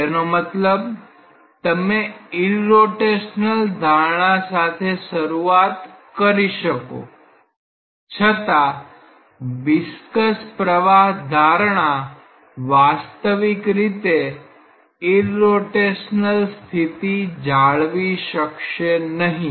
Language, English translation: Gujarati, That means, although you may start with an irrotational assumption the viscous flow assumption will not hold that irrotational state physically